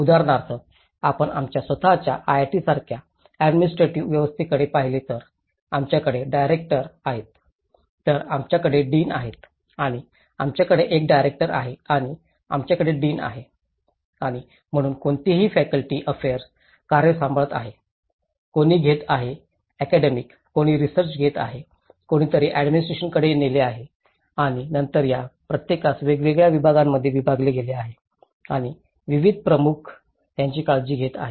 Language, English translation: Marathi, Like for instance, if you look at any administrative setup like our own IIT we have a director then we have the deans and we have a director and we have the deans and so, someone is taking care of the faculty affairs, someone is taking of the academic, someone is taking with the research, someone is taking to administration and then each this is further divided into different departments and different heads are taking care of it